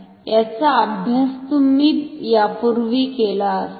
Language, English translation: Marathi, You must have studied this earlier